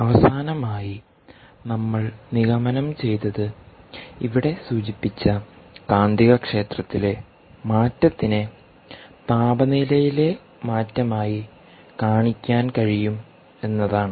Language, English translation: Malayalam, so what we finally concluded is that change in magnetic field, which we mentioned here, can be demonstrated as change in temperature, right